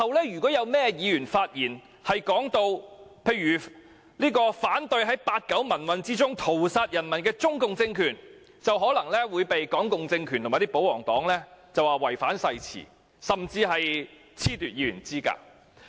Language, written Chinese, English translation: Cantonese, 如有任何議員於日後發言時提到反對在八九民運中屠殺人民的中共政權，便可能會被港共政權和保皇黨指控違反誓詞，甚至被褫奪議員資格。, Should any Members raise objection in their speeches in future to the CPC regime for butchering its people in the 1989 pro - democracy movement they might be accused by the Hong Kong communist regime or the pro - Government camp of breaching their oaths or even disqualified from office as Legislative Council Members